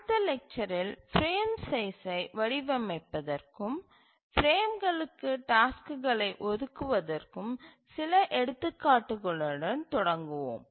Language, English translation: Tamil, We'll start with few examples of designing the frame size and assignment of tasks to the frames in the next lecture